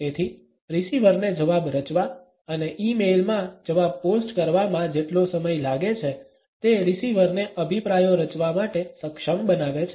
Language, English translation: Gujarati, So, the time it takes the receiver to form a reply and to post this reply to an e mail enables the receiver to form opinions